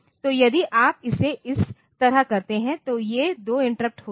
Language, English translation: Hindi, So, if you do it like this then these 2 interrupts